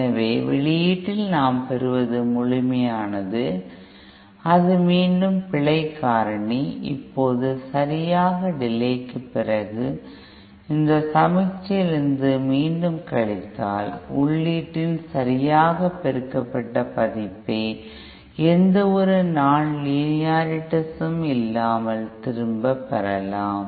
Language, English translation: Tamil, So what we get at the output is the absolute, that is the error factor again and now if we again subtract it from this signal after proper delays, then we can get back the correctly amplified version of the input with no nonlinearities present